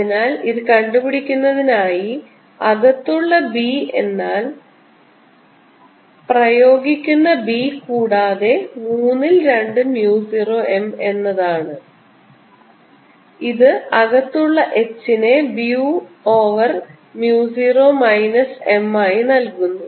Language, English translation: Malayalam, so to work this out then i know that b inside is going to be b applied plus two thirds mu zero m, and this gives h inside b in over mu zero minus m, which is equal to b m over mu zero minus, o sorry, b over mu zero minus